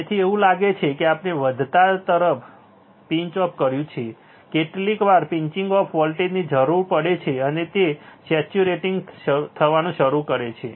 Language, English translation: Gujarati, So, this looks like we have pinched off towards increasing, sometimes a pinch off voltage is required and it starts saturating